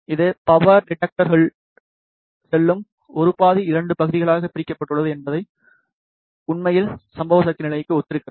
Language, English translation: Tamil, Is split into 2 halves the 1 half that goes into this power detector actually corresponds to the incident power level